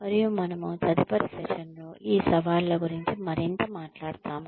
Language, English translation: Telugu, And, we will talk more about, these challenges in the next session